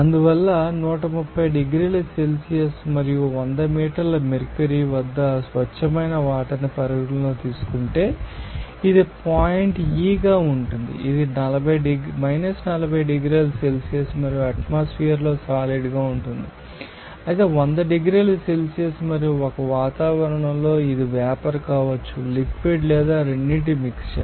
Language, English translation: Telugu, So, pure water if we consider that here at 130 degrees Celsius and hundred millimeter mercury that will be a gash that is point E while it is solid at 40 degrees Celsius and in an atmosphere but at 100 degrees Celsius and 1 atmosphere it can be a gas liquid or a mixture of both